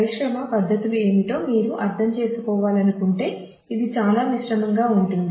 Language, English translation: Telugu, If you would like to understand as to what the industry practices are it is very mixed